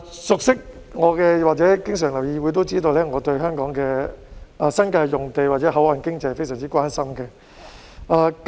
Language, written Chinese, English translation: Cantonese, 熟悉我或經常留意議會的市民都知道，我對香港的新界用地或口岸經濟非常關心。, Members of the public who know me well or who often pay attention to this Council know that I am very concerned about land use or port economy in the New Territories